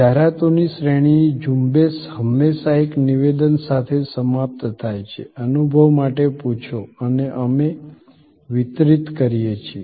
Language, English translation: Gujarati, The campaign of the series of ads always ends with one statement, ask for an experience and we deliver